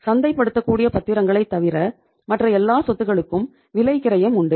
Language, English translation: Tamil, Other than the marketable securities all these assets have the cost